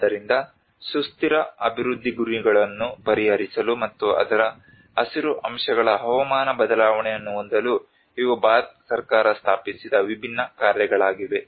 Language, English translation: Kannada, So these are different missions which were established by the Government of India and in order to address the sustainable development goals and as well as the climate change on the green aspects of it